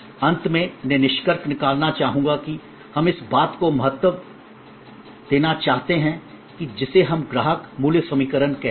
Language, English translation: Hindi, Lastly to conclude I would like to point out the importance of this, what we call the customer value equation